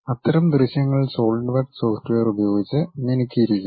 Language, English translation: Malayalam, Such kind of visualization is polished possible by Solidworks software